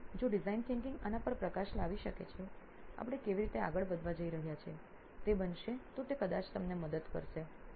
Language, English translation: Gujarati, So if design thinking can shed light on this is going to be how we are going to proceed then it will probably help you